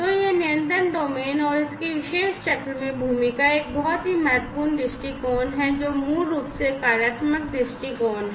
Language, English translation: Hindi, So, this control domain and it is role in this particular cycle is a very important viewpoint, which is basically the functional viewpoint